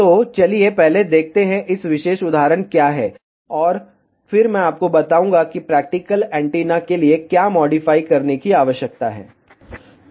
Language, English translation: Hindi, So, let us first see, what this particular example is, and then I will tell you what needs to be modified for practical antenna